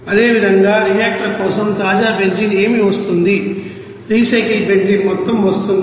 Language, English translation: Telugu, Similarly, for reactor what are the you know fresh benzene is coming what would be the amount of recycle benzene is coming